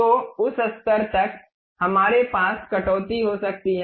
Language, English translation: Hindi, So, up to that level we can have a cut